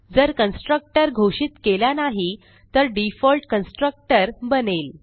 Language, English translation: Marathi, If we do not define a constructor then a default constructor is created